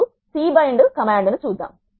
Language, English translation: Telugu, Now, let us see the C bind